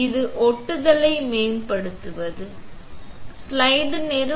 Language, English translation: Tamil, This is to improve the adhesion, right